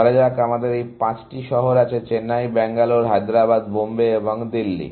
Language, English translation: Bengali, Let us say, we have these five cities; Chennai, Bangalore, Hyderabad, Bombay and Delhi and